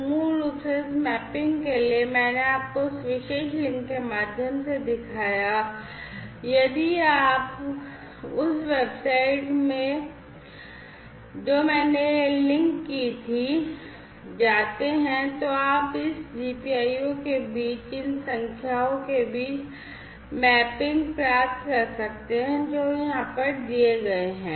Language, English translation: Hindi, So, for that basically this mapping, that I had shown you through that particular link if you remember in that website that I had that linked to from that link you can get mapping between this GPIO to these numbers that are given over here